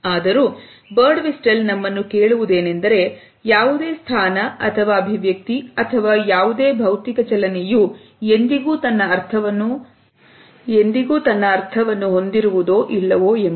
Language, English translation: Kannada, However, Birdwhistell has questioned us that “no position or expression or no physical movement ever caries meaning in itself and of itself”